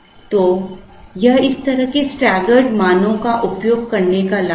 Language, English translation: Hindi, So, that is the advantage of using these kind of staggered values